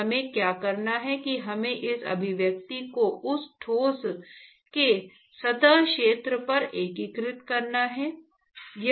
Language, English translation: Hindi, So, what we have to do is we have to integrate this expression over the surface area of that solid, right